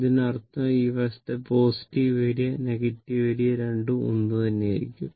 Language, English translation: Malayalam, Identical means, this side positive area negative area both will be same right